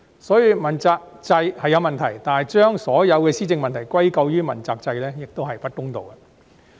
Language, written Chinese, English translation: Cantonese, 所以，問責制是有問題，但把所有施政問題歸咎於問責制亦不公道。, So while I admit that there are problems with the accountability system it is also unfair to attribute all governance problems to the accountability system